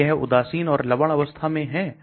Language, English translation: Hindi, Is it a neutral or salt form